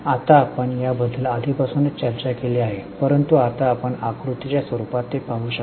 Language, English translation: Marathi, Now we have already discussed it but now you can just see it in a form of a figure